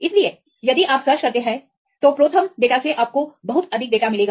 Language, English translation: Hindi, So, if you search that you ProTherm data you will get plenty of data